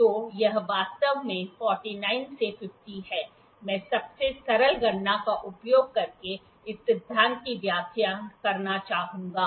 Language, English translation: Hindi, So, this is actually 49 to 50, I will like to explain this principle by using a most simple calculation